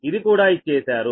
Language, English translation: Telugu, this is given